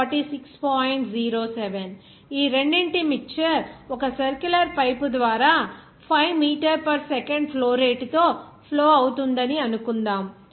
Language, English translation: Telugu, 07 is flowing through a circular pipe at a flow rate of 5 meters per second